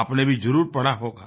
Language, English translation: Hindi, You too must have read it